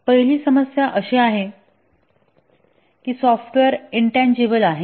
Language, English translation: Marathi, The first problem is that software is intangible